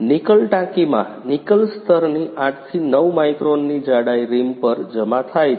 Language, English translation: Gujarati, In the Nickel tank, 8 to 9 micron thickness of Nickel layer is deposited on the rim